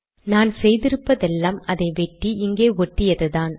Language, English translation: Tamil, All I have done is to cut and to paste it here